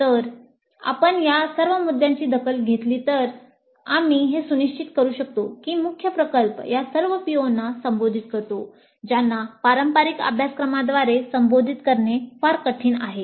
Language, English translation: Marathi, If we take care of all these issues then we can ensure that the main project addresses all these POs which are very difficult to address through conventional courses